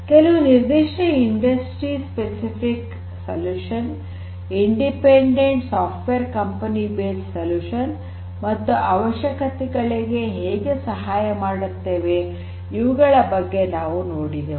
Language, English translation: Kannada, We have looked at certain specific solutions that are there some industry specific solutions, some software you know independent software company based solutions and so and how they can help in addressing some of our requirements